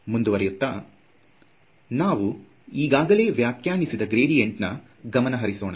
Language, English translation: Kannada, Moving on, now let us try to work with this gradient that we have defined